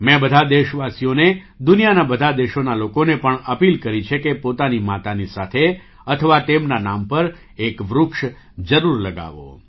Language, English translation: Gujarati, I have appealed to all the countrymen; people of all the countries of the world to plant a tree along with their mothers, or in their name